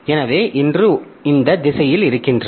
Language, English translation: Tamil, So, one is in this direction